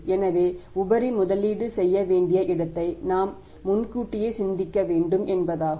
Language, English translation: Tamil, So it means we should all of these be thinking in advance where their surplus has has to be invested